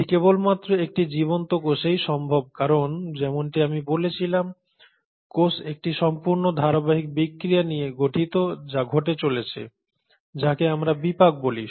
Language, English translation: Bengali, Now, all this is only possible in a living cell because, as I said, cells are made up of a whole series of reactions which are taking place, which is what we call as metabolism